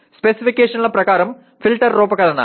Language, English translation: Telugu, Designing a filter as per specifications